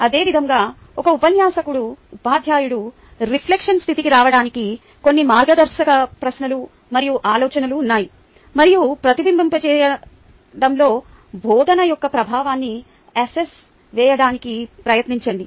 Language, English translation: Telugu, similarly, there are some guiding questions and thoughts for a teacher to get into the state of reflection, and ah try to assess the impact of ah, the teaching right during reflection